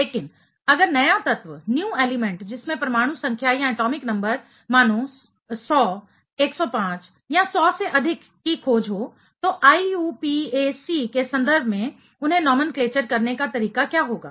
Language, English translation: Hindi, But if a new element which is having atomic number, let us say more than 100, 105, 100 you know so on is discovered, what would be the way to nomenclature them in terms of IUPAC